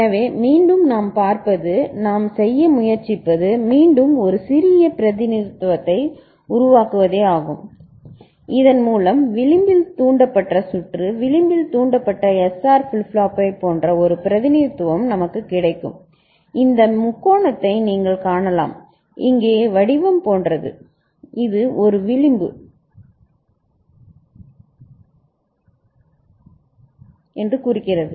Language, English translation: Tamil, So, again what we shall see, what we shall try to do is to again make a compact representation and by which for edge triggered circuit the edge triggered SR flip flop we shall have a representation like this, where this you can see this triangle like shape here that indicates that it is an edge triggered ok